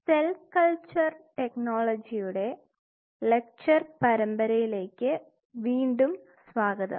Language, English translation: Malayalam, Welcome back into the lecture series on Cell Culture Technology